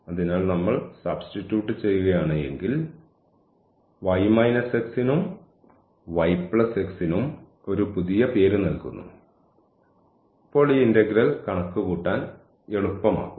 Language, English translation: Malayalam, So, if we substitute, we give a new name to y minus x and also to y plus x then perhaps this integral will become easier to compute